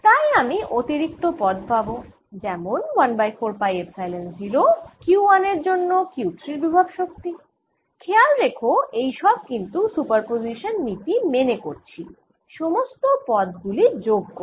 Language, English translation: Bengali, so i am going to get additional terms, which are: one over four phi epsilon zero potential energy of q three due to charge q one, and notice that this is all using principal of super position